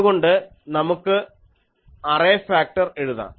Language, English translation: Malayalam, So, you see this is the array factor